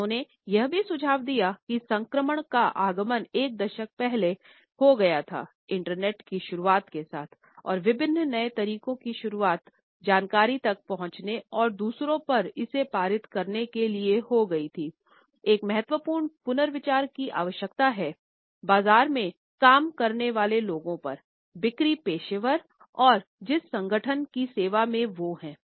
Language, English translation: Hindi, And he also suggests that the transition that had started about a decade ago with the arrival of the internet and the introduction of various new ways of accessing information and passing it onto others, required a significant rethinking on the people of marketers, sales professionals and the organisations they serve